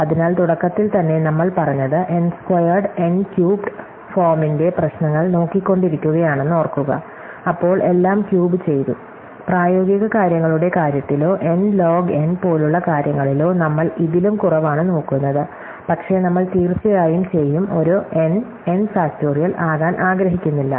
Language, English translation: Malayalam, So, recall that we said right at the beginning that we are looking at problems of the form N squared, N cubed then all that, we probably looking at even less in terms of practical things or things like N log N, but we certainly do not want to be a N and N factorial